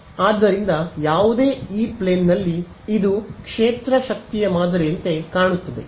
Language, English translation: Kannada, So, in any E plane this is what the field power pattern looks like